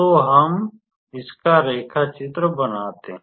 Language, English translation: Hindi, So, let us draw it